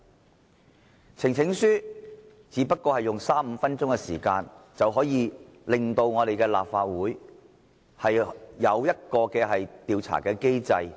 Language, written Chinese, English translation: Cantonese, 提出呈請書只不過是花三五分鐘時間，便能令立法會成立一個調查機制。, The presentation of petition merely takes a few minutes time but it functions as an investigation mechanism of the Legislative Council